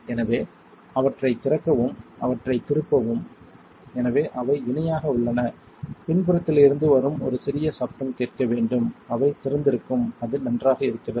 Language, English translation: Tamil, So, open them you turn them, so they are parallel you should hear a small hiss coming from the back that means, they are open and it is good